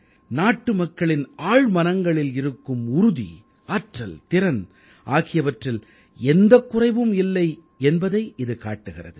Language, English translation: Tamil, It conveys to us that there is no dearth of inner fortitude, strength & talent within our countrymen